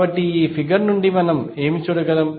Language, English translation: Telugu, So, what we can see from this figure